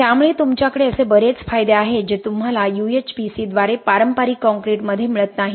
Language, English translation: Marathi, So you have a lot of these advantages which you donÕt get in conventional concretes through UHPC